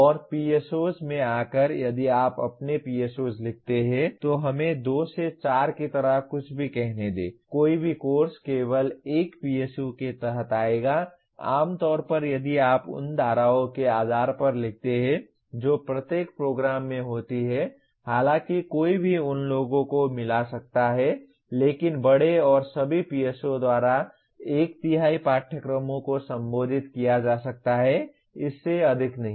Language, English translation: Hindi, And coming to PSOs if you write your PSOs let us say something like 2 to 4 any course will come only under 1 PSO; generally if you write based on the streams that every program has, though one can mix those, but by and large, all PSOs are likely be addressed by one third of the courses, not more than that